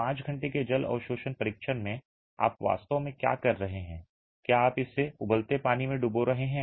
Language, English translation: Hindi, In the 5 hour water absorption test what you are actually doing is you are immersing it in boiling water